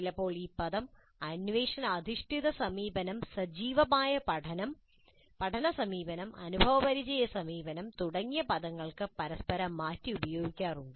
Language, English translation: Malayalam, Sometimes the term is used interchangeably with terms like inquiry based approach, active learning approach, experiential approach and so on